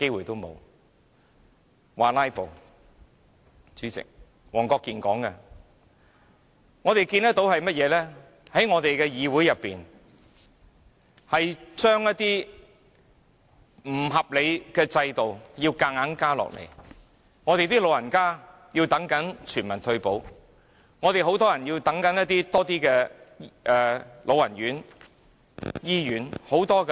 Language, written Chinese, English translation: Cantonese, 代理主席，黃國健議員說我們"拉布"，而我們卻看到議會要被強行施加不合理的制度，即使長者仍在等待全民退保，以及有不少人士正在輪候老人院和醫院服務。, Deputy President Mr WONG Kwok - kin accused us of filibustering but in our perception unreasonable systems are being forced onto this Council regardless of the fact that the elderly people are still awaiting universal retirement protection and many others are waiting for residential care home for the elderly and hospital services